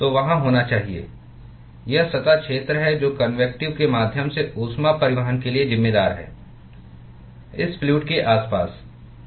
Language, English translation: Hindi, it is the surface area which is responsible for the heat transport via convection from the